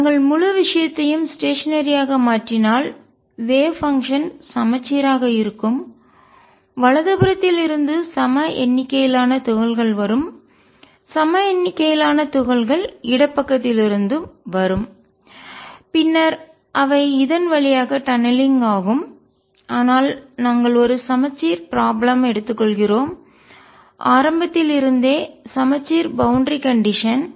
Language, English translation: Tamil, If we made the whole thing stationery then the wave function will be symmetric there will be equal number of particles coming to from the right, equal number particles coming from the left and then they will be tunneling through, but we are taking a symmetric problem a symmetric boundary condition right from the beginning